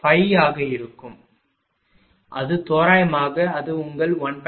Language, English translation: Tamil, 05 roughly it will be your 1